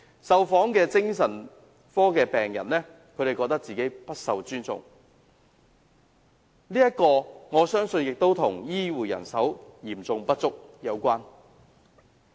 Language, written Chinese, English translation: Cantonese, 受訪的精神科病人自覺不被尊重，我相信這與醫護人手嚴重不足有關。, Moreover the interviewed psychiatric patients felt that they were not respected . I believe this has something to do with the acute shortage of healthcare manpower